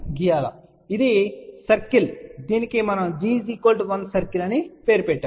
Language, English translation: Telugu, So, this is the circle which we name as g equal to 1 circle, right